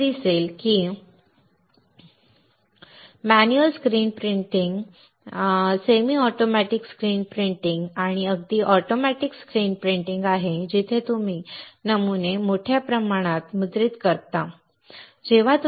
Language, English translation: Marathi, You see there is manual screen printing, semi automatic screen printing and even automatic screen printing where you just keep printing the patterns in bulk, right